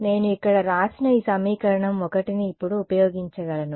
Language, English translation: Telugu, I can now use this equation 1 that I have written over here right